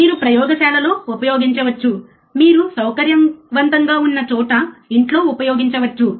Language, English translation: Telugu, You can use at laboratory, home you can work at home wherever you are comfortable